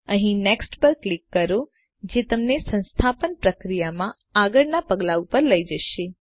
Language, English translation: Gujarati, Click on Next here to take you to the next step in the installation process